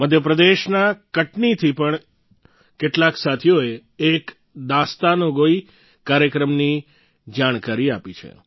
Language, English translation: Gujarati, Some friends from Katni, Madhya Pradesh have conveyed information on a memorable Dastangoi, storytelling programme